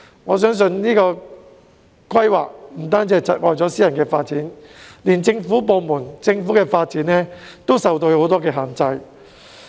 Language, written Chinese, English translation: Cantonese, 我認為這種規劃方式不僅窒礙私人發展，就連政府的發展也受到很多限制。, In my view this planning approach will not only hold back private development but also hinder public development in different ways